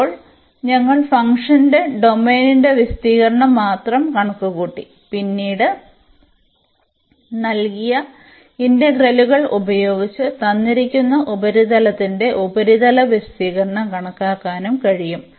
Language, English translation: Malayalam, So now, we have computed only the area of the domain of the function and then, later on we can also compute the surface area of the given surface using the double integrals